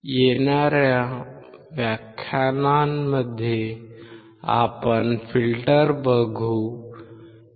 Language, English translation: Marathi, In the following modules, we will look at the filter